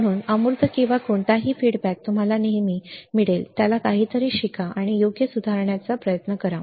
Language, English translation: Marathi, So, immaterial or whatever feedback you get always learn something from that and try to improve right